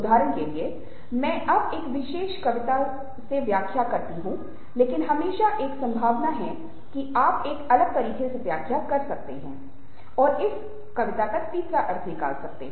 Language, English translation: Hindi, for instance, i interpret it in a particular way now, but there is always a possibly that you would interpret in a different way, in your own way of way to do that with poems